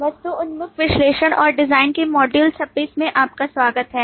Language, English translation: Hindi, Welcome to module 26 of object oriented analysis and design